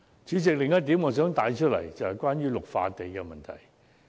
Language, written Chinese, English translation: Cantonese, 主席，我想帶出的另一點是綠化地帶的問題。, President another point that I wish to highlight is about green belt areas